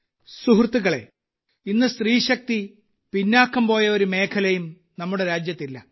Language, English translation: Malayalam, Friends, today there is no region in the country where the woman power has lagged behind